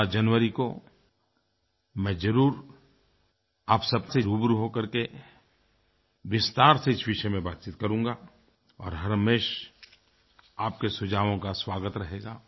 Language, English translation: Hindi, I will definitely interact with you on 16th January and will discuss this in detail